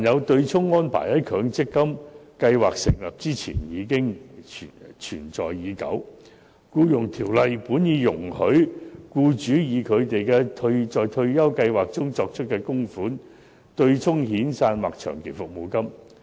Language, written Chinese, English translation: Cantonese, 對沖安排在強積金計劃成立前存在已久，《僱傭條例》本已容許僱主以他們在退休計劃中作出的供款，對沖遣散費或長期服務金。, The offsetting arrangement has been in place long before the launch of the MPF scheme . Under the Employment Ordinance employers are already permitted to offset severance payments and long service payments with their contributions to pension scheme